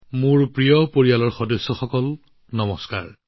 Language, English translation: Assamese, My dear family members, Namaskar